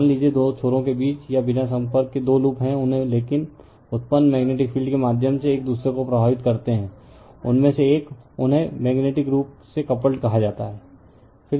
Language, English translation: Hindi, Suppose, you have two loops with or without contact between them, but affect each other through the magnetic field generated by one of them, they are said to be magnetically coupled